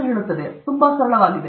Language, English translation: Kannada, It’s so simple